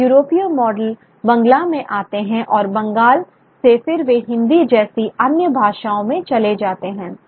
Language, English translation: Hindi, So, the European models come into Bangla and from Bangla then they move into other languages like Hindi